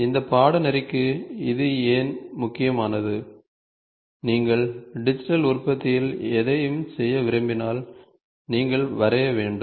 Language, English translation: Tamil, Why is this all important for this course is, in when you want to do anything in digital manufacturing, you are supposed to draw